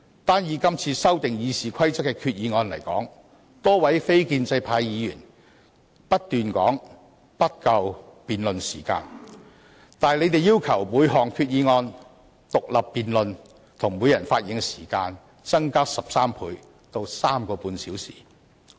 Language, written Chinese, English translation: Cantonese, 就這次修訂《議事規則》的議案而言，多位非建制派議員不斷說辯論時間不足，並要求就每項議案進行獨立辯論，以及每人的發言時間增加13倍至3個半小時。, As far as the present motions to amend the Rules of Procedure are concerned a number of non - establishment Members kept saying that the time for debate was not enough and demanded that each of the motions be debated individually and each Members speaking time be increased by 13 times to three and a half hours